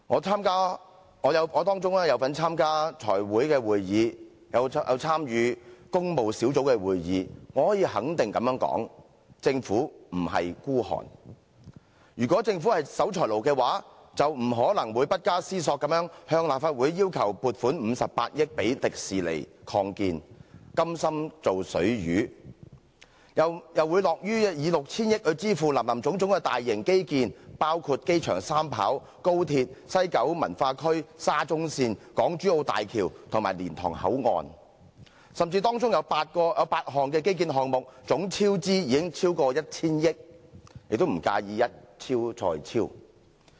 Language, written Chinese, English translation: Cantonese, 在當中我參加了財務委員會的會議和工務小組委員會的會議，我可以肯定地說，政府並不孤寒，如果政府是守財奴，便不可能不加思索地向立法會要求撥款58億元予迪士尼樂園擴建，甘心"做水魚"，又會樂於以 6,000 億元來支付林林總總的大型基建，包括擴建機場第三條跑道、高鐵、西九龍文化區、沙中線、港珠澳大橋及蓮塘口岸，甚至當中有8項基建項目總超支已超過 1,000 億元，也不介意"一超再超"。, As I have participated in the meetings of the Finance Committee and the Public Works Subcommittee I can say for sure that the Government is not pinchpenny at all . If the Government is a miser it would not have asked without a blink from the Legislative Council a funding of 5.8 billion for the expansion of the Disneyland playing the role of a squanderer willingly . It also happily pays 600 billion for various large - scale infrastructural projects which include the expansion of the airport into a three - runway system the Guangzhou - Shenzhen - Hong Kong Express Rail Link the West Kowloon Cultural District the MTR Shatin to Central Link the Hong Kong - Zhuhai - Macao Bridge and the Liantang Control Point